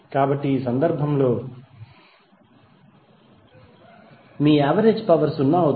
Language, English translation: Telugu, So in this case your average power would be 0